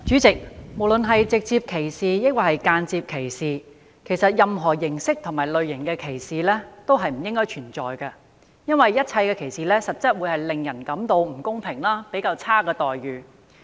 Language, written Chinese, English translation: Cantonese, 代理主席，無論是直接歧視，抑或是間接歧視，任何形式和類型的歧視都不應存在，因為一切歧視都會令人感到不公平和受到較差待遇。, Deputy President all forms and kinds of discrimination be they direct and indirect discrimination should not exist because all kinds of discrimination will make people have a feeling of being unfairly or inferiorly treated